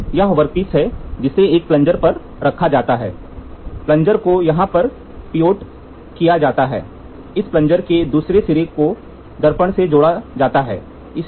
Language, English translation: Hindi, So, here you this is the workpiece which is kept a plunger, a plunger in turn is pivoted here this, the other end of the plunger is attached to the mirror